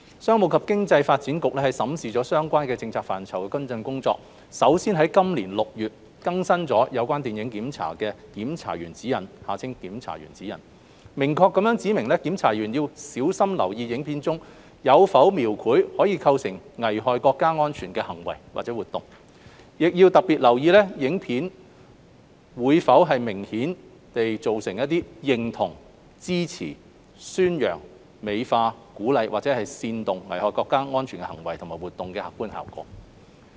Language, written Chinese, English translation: Cantonese, 商務及經濟發展局審視了相關政策範疇的跟進工作，首先在今年6月已經更新了《有關電影檢查的檢查員指引》，明確指明檢查員要小心留意影片中有否描繪可能構成危害國家安全的行為或活動，亦要特別留意影片會否明顯造成認同、支持、宣揚、美化、鼓勵或煽動危害國家安全的行為或活動的客觀效果。, The Commerce and Economic Development Bureau has reviewed the follow - up work in the relevant policy areas starting with the updating of the Film Censorship Guidelines for Censors in June this year in which censors were unequivocally required to pay vigilant attention to whether or not a film might portray acts or activities that might constitute a threat to national security and they were also required to pay particular attention to whether or not a film had the apparent objective effect of endorsing supporting promoting glorifying encouraging or inciting acts or activities that would be harmful to national security